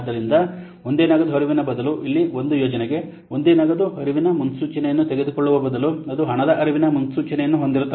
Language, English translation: Kannada, So, rather than a single cash flow, so rather than taking a single cash flow forecast for a project, here we will then have a set up cash flow forecast